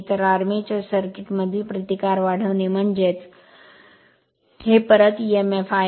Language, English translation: Marathi, So, increase the resistance in the armature circuit means the, this is your back Emf